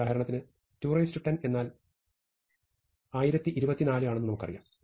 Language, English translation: Malayalam, So, we know for instance that 2 to the n, 2 to the 10 is 1024